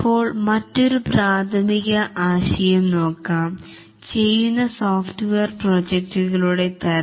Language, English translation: Malayalam, Now let's look at another very preliminary concept is the type of software projects that are being done